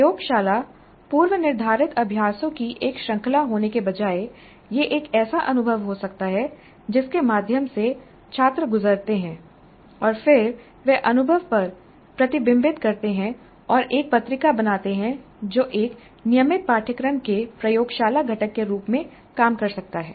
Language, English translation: Hindi, Instead of the laboratory being a series of predefined exercises, it can be an experience through which the students go through and then they reflect on the experience and create a journal and that can serve as the laboratory component of a regular course